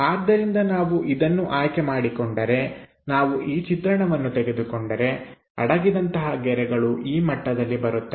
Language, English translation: Kannada, So, if we are picking this one, if we are picking this view; the hidden lines comes at that level which are that